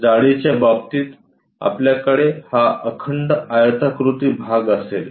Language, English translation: Marathi, In terms of thickness, we will have this continuous rectangular portion